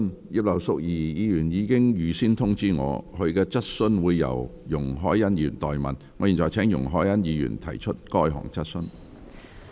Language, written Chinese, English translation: Cantonese, 葉劉淑儀議員已預先通知我，她的質詢會由容海恩議員代為提出。, Mrs Regina IP has given me advance notice that the question standing in her name will be asked by Ms YUNG Hoi - yan on her behalf